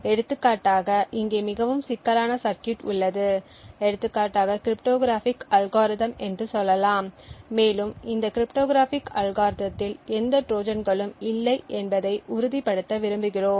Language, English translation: Tamil, So, for example we have a very complicated circuit over here let us say for example cryptographic algorithm and we want to ensure that this cryptographic algorithm does not have any Trojans